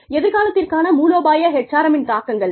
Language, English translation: Tamil, Strategic HRM implications for the future